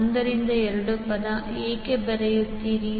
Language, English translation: Kannada, Why 1 by 2 term is coming